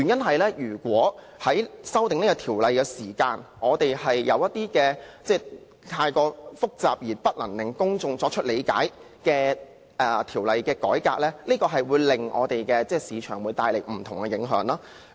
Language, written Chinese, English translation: Cantonese, 否則在修訂條例時，如果有一些太複雜而難以令公眾理解的法律改革，或會為市場帶來影響。, Otherwise the Ordinance if amended might have an impact on the market should some extremely complicated and incomprehensible legal reforms are to be carried out